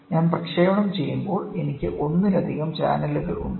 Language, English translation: Malayalam, So, when I transmit I also have multiple channels and then